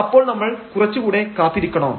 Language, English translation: Malayalam, So, do we need to wait a little bit here